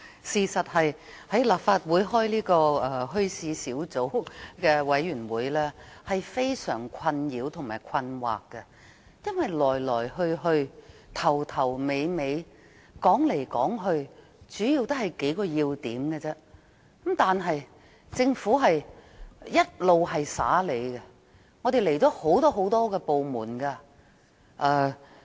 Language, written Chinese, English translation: Cantonese, 事實上，在立法會舉行墟市事宜小組委員會的會議令人感到非常困擾和困惑，因為來來去去，從頭到尾，說來說去也是數個要點，但政府卻一直帶我們遊花園。, As a matter of fact the meetings of the Subcommittee on Issues Relating to Bazaars are really baffling . We have only been talking about a few salient points time and again but the Government has been beating around the bush